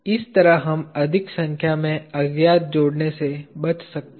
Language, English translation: Hindi, This way we can avoid adding more number of unknowns